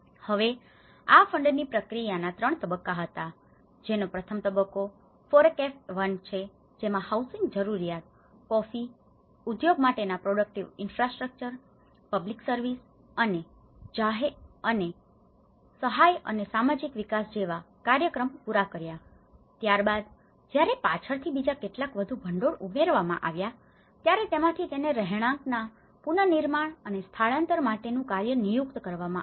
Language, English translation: Gujarati, Now, they have been 3 phases of this funding process, one is the FORECAFE 1 which has met the first stage met the housing needs, productive infrastructures for the coffee industry, public services and programmes of assistance and social development whereas, again therefore later on some more fund has been added this is where it was designated for housing reconstruction and relocation